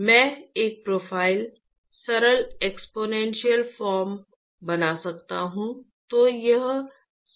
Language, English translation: Hindi, So, I could draw a profile, simple exponential form